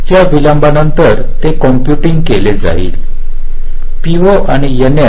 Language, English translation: Marathi, after that delay it will be computing p o and n